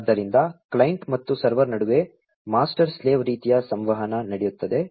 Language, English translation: Kannada, So, master slave kind of communication takes place between the client and the server